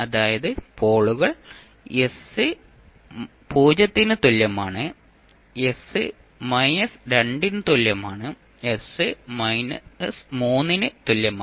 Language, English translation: Malayalam, That is poles are at s is equal to 0, at s equal to minus 2, at s is equal to minus 3